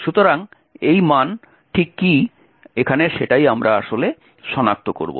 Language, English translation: Bengali, So, what exactly is this value, is what we will actually identify